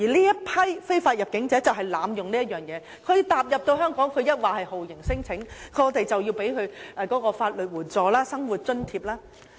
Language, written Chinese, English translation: Cantonese, 而這批非法入境者就是濫用此條文，踏入香港後便立即提出酷刑聲請，這樣我們便要提供法律援助、生活津貼。, These illegal entrants are precisely abusing this article . As soon as they set foot on Hong Kong they lodge torture claims and then we have to provide them with legal assistance and living allowance